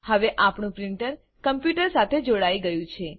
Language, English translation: Gujarati, Now, our printer is connected to the computer